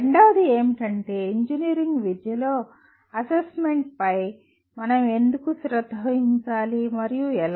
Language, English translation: Telugu, And second one is why do we need to be concerned with assessment in engineering education and how